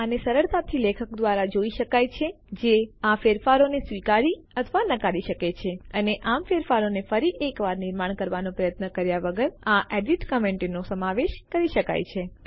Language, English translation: Gujarati, This can be easily seen by the author who can accept or reject these changes and thus incorporate these edit comments without the effort of making the changes once again